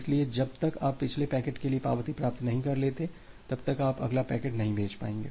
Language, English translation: Hindi, So, until you are receiving the acknowledgement for the previous packet, you will not be able to send the next packet